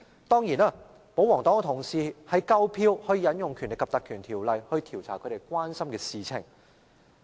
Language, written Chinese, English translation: Cantonese, 當然，保皇黨同事已有足夠票數引用《立法會條例》調查他們關心的事情。, Of course Honourable colleagues of the pro - Government camp have enough votes to invoke the provisions of the Legislative Council Ordinance to look into matters of concern to them